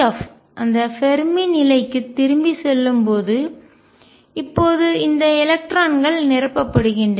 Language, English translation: Tamil, Going back to that Fermi level being filled now these electrons being filled